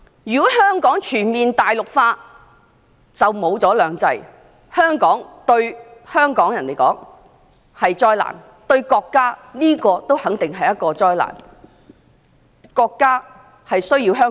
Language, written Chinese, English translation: Cantonese, 如果香港全面大陸化，"兩制"便會消失，對香港人和國家來說也肯定是災難。, If Hong Kong is fully Mainlandized two systems will disappear which is certainly a disaster for Hong Kong people and the country